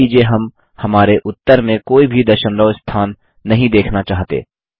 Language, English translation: Hindi, Now suppose we dont want any decimal places in our result